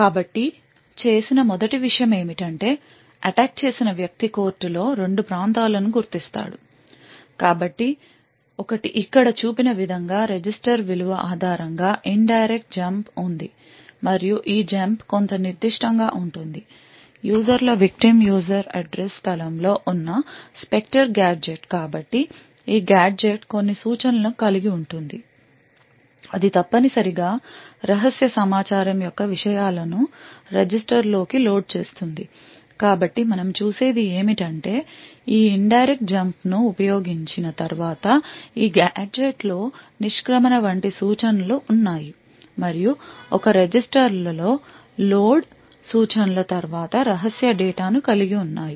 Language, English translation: Telugu, So the first thing that has done is that the attacker would identify 2 regions in the court so 1 it has an indirect jumped based on a register value as shown over here and this jump is to some specific Spectre gadget which is present in the users victims user address space so this gadget did comprises of a few instructions that essentially would load into a register the contents of the secret information so what we see is that the attacker once you utilized this indirect Jump to this gadget and this gadget has instructions such as exit or and something like that followed by a load instruction which includes secret data into a register